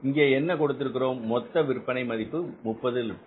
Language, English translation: Tamil, So, we are taking here the sales value is 30 lakhs